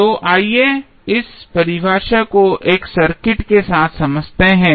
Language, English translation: Hindi, So, let us understand this definition with 1 circuit